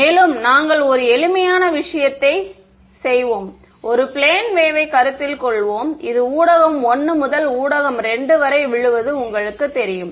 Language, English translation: Tamil, And, we will do a simple thing we will consider a plane wave that is you know falling on to from medium 1 on to medium 2 ok